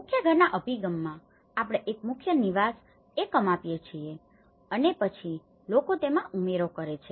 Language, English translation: Gujarati, In a core house approach, we give a core dwelling unit and then people add on to it